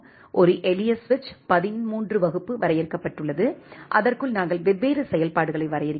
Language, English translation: Tamil, A simple switch thirteen class has been defined and inside that, we are defining different functionalities